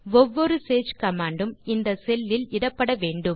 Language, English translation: Tamil, Every Sage command must be entered in this cell